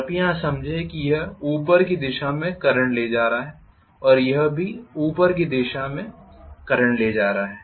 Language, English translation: Hindi, Please see here this is carrying current in upward direction this is also carrying current in upward direction